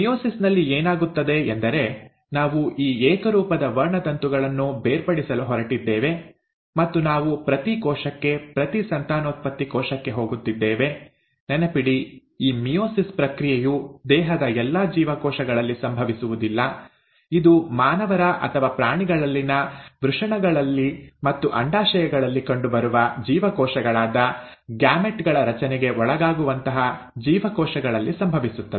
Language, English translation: Kannada, So what happens in meiosis, is that we are going to separate these homologous chromosomes and we are going to each cell, each reproductive cell; mind you this process of meiosis does not happen in all the cells of the body, it happens in those cells which are capable of undergoing formation of gametes which are the cells found in testes and ovaries in human beings or animals